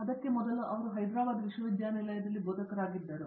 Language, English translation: Kannada, Before that she was a faculty in the University of Hyderabad